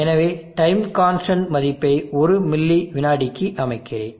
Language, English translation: Tamil, So I am setting the time constant value to one millisecond